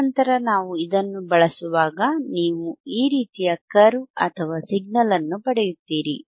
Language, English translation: Kannada, And then when we use this, you will get a curve orlike this, signal like this,